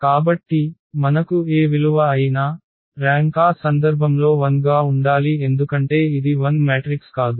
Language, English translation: Telugu, So, whatever value we have, so the rank has to be 1 in the that case because it is not the 0 matrix